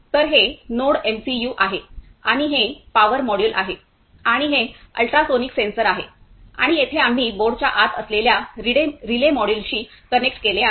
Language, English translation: Marathi, So, this is NodeMCU and this is power module and this is ultrasonic sensor and here we have connected to relay module which is inside the board